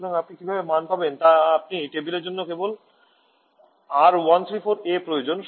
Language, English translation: Bengali, So you know how to get the value you just need the R1 for the table